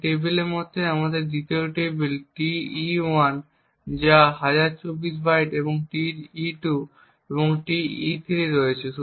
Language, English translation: Bengali, Similar to this table we have the 2nd table Te1 which is also of 1024 bytes, Te2 and Te3